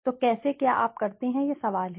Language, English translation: Hindi, So how do you do it is the question